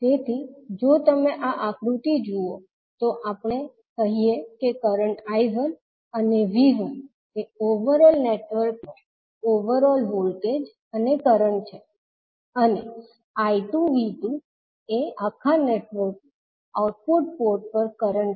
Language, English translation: Gujarati, So, if you see in this figure, we say that current I 1 and V 1 is the overall voltage and current of the overall network, and V 2 I 2 is the output port current of the overall network